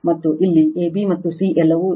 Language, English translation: Kannada, And here also a, b, and c all are mass